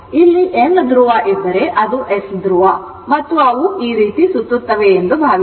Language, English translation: Kannada, Suppose, if you have here it is N pole here, it is S pole, N pole, S pole and it is revolving like this, it is revolving like this